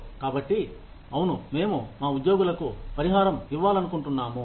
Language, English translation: Telugu, So, yes, we want to compensate our employees